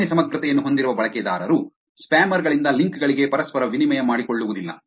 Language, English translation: Kannada, Users with low integrity do not reciprocate to links from spammers